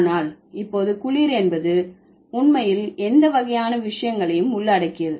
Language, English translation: Tamil, But now cool means it can actually include any kind of things